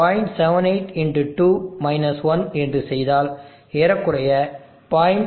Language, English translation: Tamil, 78 x 2 1 which is around 0